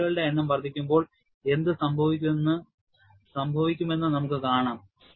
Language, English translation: Malayalam, And we will see what happens, when the number of cycles is increased